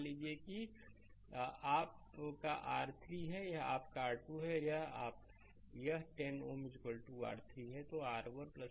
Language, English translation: Hindi, Suppose this is your R 1, this is your R 2 and this 10 ohm is equal to R 3